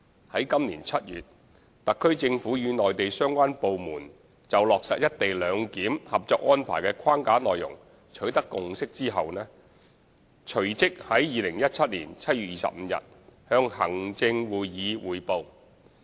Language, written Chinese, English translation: Cantonese, 在今年7月，特區政府與內地相關部門就落實"一地兩檢"《合作安排》的框架內容取得共識後，隨即在2017年7月25日向行政會議匯報。, After reaching consensus on the framework of a Co - operation Arrangement for implementing co - location arrangement with the relevant Mainland authorities in July this year the HKSAR Government immediately reported to the Executive Council on 25 July 2017